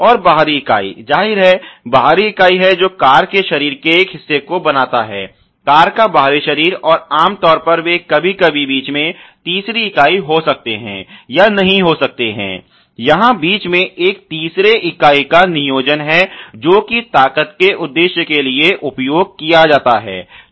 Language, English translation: Hindi, And the outer member; obviously, is the outer member which formulates a part of the body of the car, the outer body of the car and typically they are may or may not be a third member in between sometimes, there is a placement of a third member in between here which is used for the purpose of strengths you know